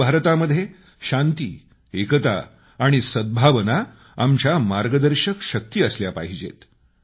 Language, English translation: Marathi, New India will be a place where peace, unity and amity will be our guiding force